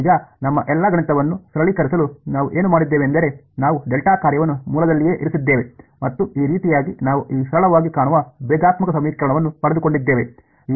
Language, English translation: Kannada, Now, what we had done to simplify all our math was that we put the delta function at the origin right; and that is how we got this simple looking differential equation